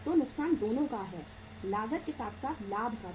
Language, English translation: Hindi, So loss is the of both, cost as well as of the profit